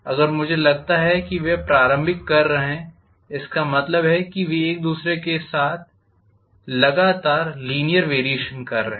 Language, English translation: Hindi, If I assume they are having an initial I mean they are having continuously linear variation